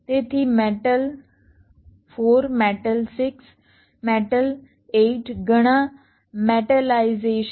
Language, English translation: Gujarati, so metal four, metal six, metal eight, so many, metallization